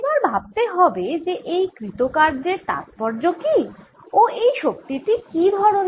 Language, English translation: Bengali, now, first, what is the significance of this work and what kind of energy is this